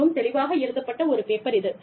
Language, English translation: Tamil, It is a very lucidly written paper